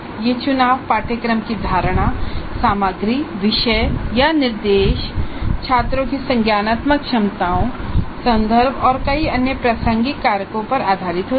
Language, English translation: Hindi, The choices are based on our perception of the course, the content, the subject, our instruction, cognitive abilities of the students, context and many other contextual factors